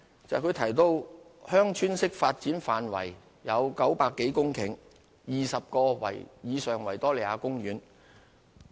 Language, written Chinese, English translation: Cantonese, 因為他提到"鄉村式發展"範圍有900多公頃，面積大約為50個維多利亞公園。, It is because he mentioned that the scope of VTD covered some 900 hectares of land which was equivalent to approximately 50 Victoria Parks